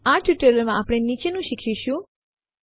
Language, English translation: Gujarati, In this tutorial we will learn the followings